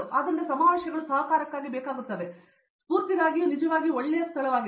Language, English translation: Kannada, So, conferences are really good ground for collaborations and for inspirations